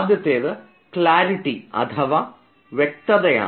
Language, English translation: Malayalam, the first is clarity